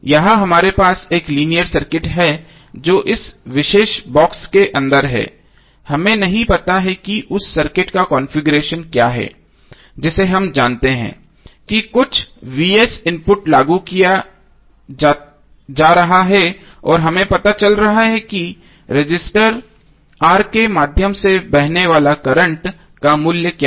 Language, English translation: Hindi, Here we have linear circuit which is inside this particular box we do not know what is the configuration of that circuit we know that some input is being applied that Vs and we are finding out what is the value of current flowing through the resistor R